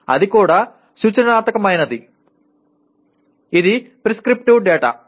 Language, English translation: Telugu, That is also prescriptive; that is prescriptive data